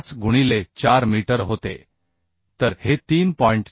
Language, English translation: Marathi, 85 into it was 4 meter so this is 3